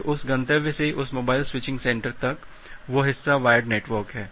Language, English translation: Hindi, Then from that destination to this mobile switching center, that part is the wired network